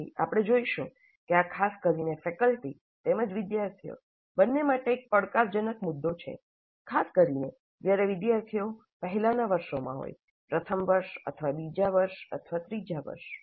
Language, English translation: Gujarati, Later we will see that this is particularly a challenging issue both for faculty as well as our students, particularly when these students are in the earlier years, first year or second year or third year